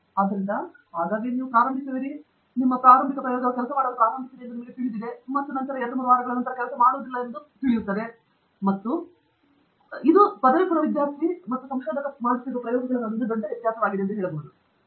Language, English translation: Kannada, So, often you start off, and you feel very happy you know that your initial experiment started working, and then I know two, three weeks down the road something does not work; and I would say that is the biggest difference between what I say an undergraduate student trying experiments for the first time goes through and say a more seasoned researcher goes through